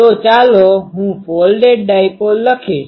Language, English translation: Gujarati, So, let me write folded dipole